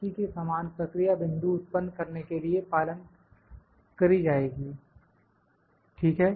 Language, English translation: Hindi, The similar procedure would follow will just for generate the points, ok